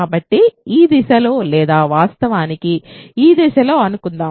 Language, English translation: Telugu, So, suppose so, in this direction or actually in this direction